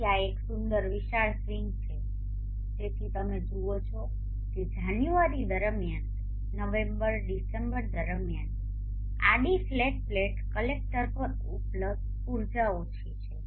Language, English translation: Gujarati, 7 or so, so this is a pretty large swing so you see that during January during November, December the available energy on the horizontal flat plate collector is low